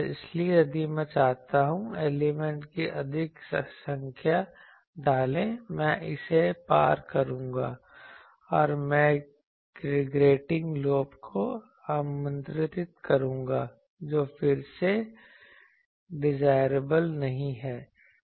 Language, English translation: Hindi, So, if I want to put more number of elements, I will cross that, and I will invite grating lobe, which is again not desirable